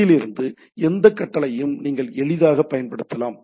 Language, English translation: Tamil, You can pretty easily use any command from this one